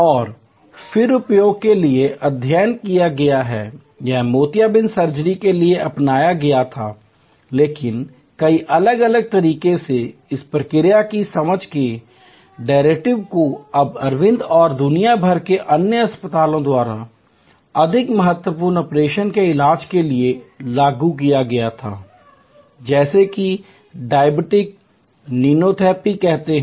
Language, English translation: Hindi, And has been then studied for use, this was adopted for cataract surgery, but in many different ways, the derivatives of this understanding this process insight were then applied by Aravind and other hospitals around the world for treating more critical operations, like say diabetic retinopathy